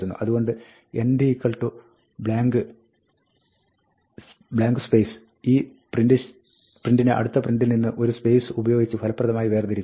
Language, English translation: Malayalam, So, end equal to space is effectively separating this print from the next print by a space